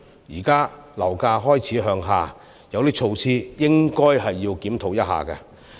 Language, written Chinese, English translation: Cantonese, 現時樓價開始向下，有些措施應該檢討一下。, As property prices have started falling presently we should review some of the measures eg